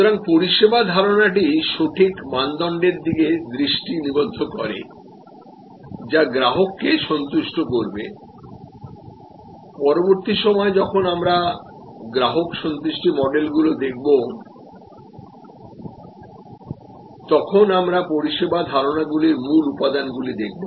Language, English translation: Bengali, So, service concept focuses on the exact criteria that will satisfy the customer later on when we look at customer satisfaction models we will look at the key constituents of the service concepts